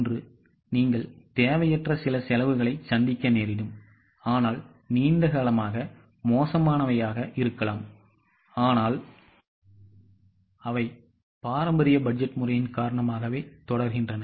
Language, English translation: Tamil, Over long period of time, you might be incurring certain expenses which are unwanted today, but they just continue because of the traditional budgeting method